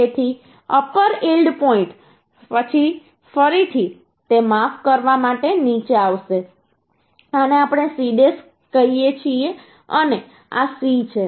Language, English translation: Gujarati, So after upper yield point again it will come down to say sorry, sorry, this we call C dash and this is C